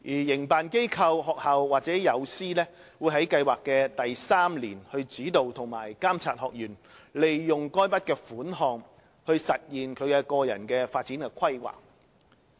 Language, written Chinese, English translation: Cantonese, 營辦機構/學校和友師會在計劃的第三年，指導及監察學員利用該筆款項實現其個人發展規劃。, The project operatorschool and mentors will provide guidance on and oversee the use of the savings by the participants to implement their personal development plans